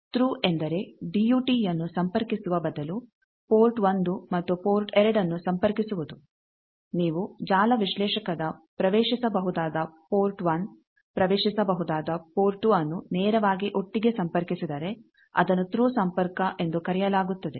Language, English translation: Kannada, Thru means just connecting port 1 and port 2 instead of connecting that DUT if you just connect the accessible port 1 accessible port 2 of the network analyser directly together that is called Thru connection